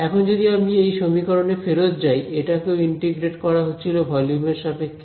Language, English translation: Bengali, Now, if I go back to this equation, this also was going to get integrated with respect to volume right